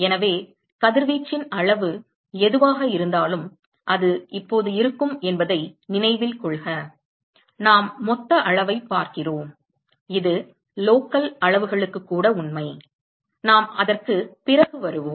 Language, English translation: Tamil, And therefore, whatever amount of radiation, so note that it will be right now we are looking at total quantity, this is true even for local quantities, we will come to that later